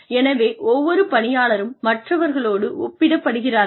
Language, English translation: Tamil, So, every employee is compared with others